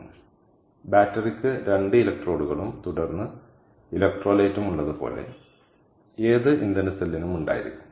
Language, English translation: Malayalam, ok, so any fuel cell will have, like a battery has, two electrodes and then electrolyte